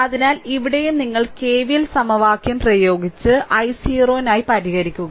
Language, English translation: Malayalam, So, here also, you please right your all K V L equation and solve for i 0